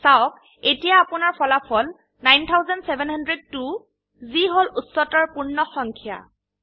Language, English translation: Assamese, You see that the result is now 9702 which is the higher whole number